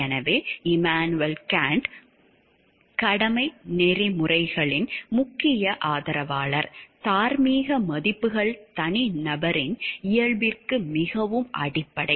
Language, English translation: Tamil, So, Immanuel Kant the major proponent of the duty ethics set like the moral values are very fundamental to the nature of the individual